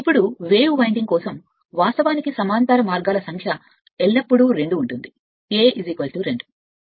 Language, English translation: Telugu, Now, for a wave winding actually number of parallel path is always 2, A is equal to 2